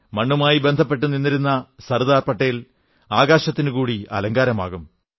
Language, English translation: Malayalam, Sardar Patel, a true son of the soil will adorn our skies too